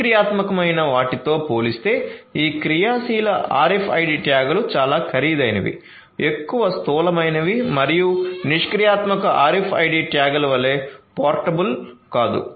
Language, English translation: Telugu, So, these active RFID tags compared to the passive ones are much more expensive, much more bulky and are not as much portable as the passive RFID tags